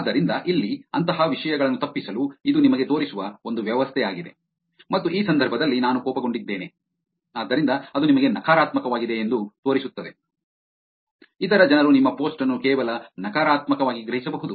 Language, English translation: Kannada, So, to avoid such things here is a setup where it shows you and in this case I am angry, so it shows you that it is negative; other people can perceive your post just negative